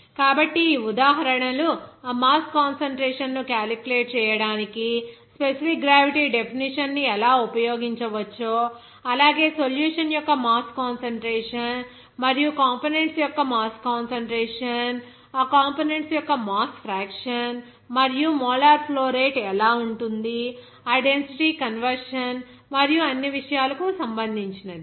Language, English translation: Telugu, So, these examples will give you that how you can use that specific gravity definition for calculation of that mass concentration as well as what is that mass concentration of solution and also mass concentration of components, also mass fraction of that components, and also molar flow rate, how it can be, related to that density conversion and all thing